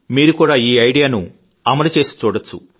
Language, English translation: Telugu, You too can try out this idea